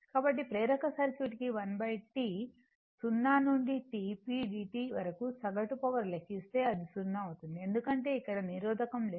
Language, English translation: Telugu, So, if you make average power for inductive circuit 1 by T 0 to T p dt, it will find 0 because, there is no resistor here